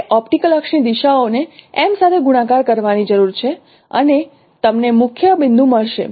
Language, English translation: Gujarati, We need to multiply multiply the directions of the optical axis with M and you will get the principal point